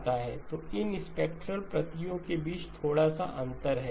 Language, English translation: Hindi, So there is a little bit of spacing between these spectral copies